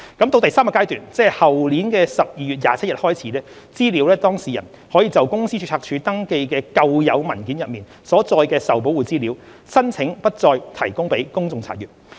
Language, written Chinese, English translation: Cantonese, 到第三階段，即後年12月27日開始，資料當事人可就公司註冊處登記的舊有文件中所載的受保護資料，申請不再提供予公眾查閱。, Starting from Phase 3 which will commence on 27 December 2023 data subjects can apply for protecting from public inspection their Protected Information contained in documents already registered with the Company Registry